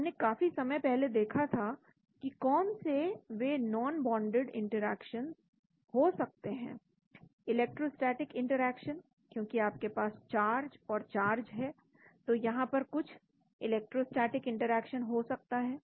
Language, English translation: Hindi, so we have looked at what those non bounded interactions could be long time back, electrostatic interactions , because you have charge charge so there could be some interactions electrostatically